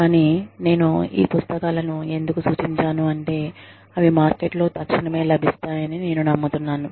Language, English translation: Telugu, But, i have referred to these books, because, i believe, they are readily available in the market